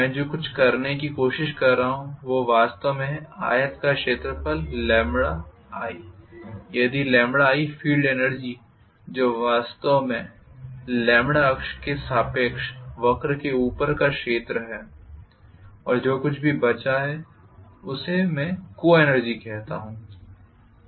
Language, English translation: Hindi, What I am trying to do is to actually find out the area of the rectangle lambda times i and if I minus whatever is the field energy which is actually area above the curve long with the lambda axis, that whatever is left over I call that as the coenergy